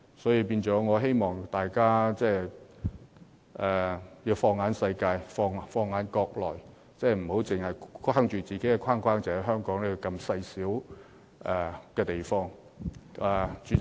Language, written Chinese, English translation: Cantonese, 所以，我希望大家能放眼世界，放眼國內，不要把自己困在小小的框架內，只着眼於香港這細小地方的事情。, I therefore call upon everyone to extend their vision to the whole world and our own country . We must not confine ourselves to such a small world focusing only on the affairs of our very tiny Hong Kong